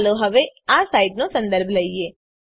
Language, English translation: Gujarati, Let us visit this site now